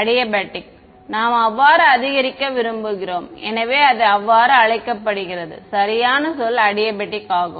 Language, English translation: Tamil, Adiabatic we want a slow increase so it is called so, correct word is adiabatic